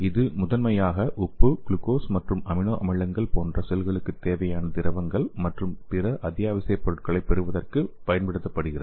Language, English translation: Tamil, And it is primarily used for the uptake of fluids and other essential materials required for such as salt, glucose, and amino acids